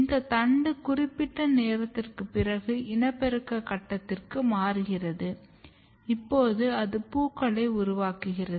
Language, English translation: Tamil, And this shoot basically after certain time point, it transit to the reproductive phase, now it makes flowers